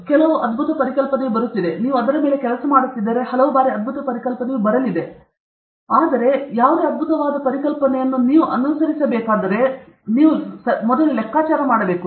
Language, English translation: Kannada, If some brilliant idea is coming, and you work on it, and it doesn’t work, then slowly what do you learn is, far many times brilliant idea will come, but which brilliant, which of these brilliant ideas I have to pursue is something you will have to figure out